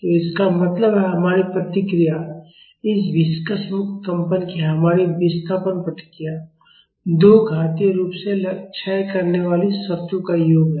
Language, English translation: Hindi, So, that means, our response our displacement response of this viscously damped free vibration is sum of two exponentially decaying terms